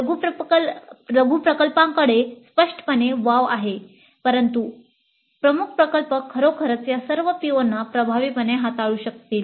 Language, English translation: Marathi, Many projects have evidently limited scope but the major project can indeed address all these POs quite effectively